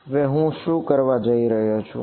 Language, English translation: Gujarati, Now, what I am going to do